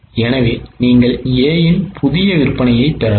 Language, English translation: Tamil, So, you can get new sales of A